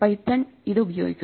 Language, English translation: Malayalam, Python also uses it